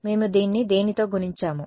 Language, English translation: Telugu, We multiplied this by what